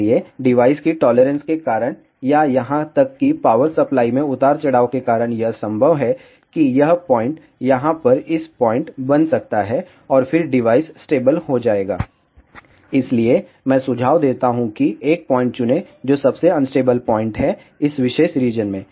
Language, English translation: Hindi, So, because of the device tolerances or even, because of the power supply fluctuations, it is possible that this point may become this point over here and then the device will become stable So, I recommend that choose a point which is the most unstable point in this particular region